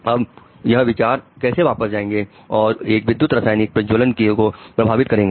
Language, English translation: Hindi, How does this thought get back and affect the electrochemical firing